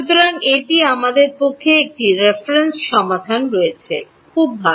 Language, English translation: Bengali, So, it is very good we have a reference solution